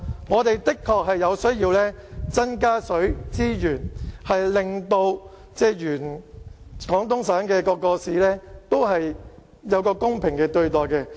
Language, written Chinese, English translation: Cantonese, 我們的確需要增加水資源，令廣東省各市得到公平對待。, We do need to explore more water resources in order to enable the municipalities in Guangdong Province to be treated fairly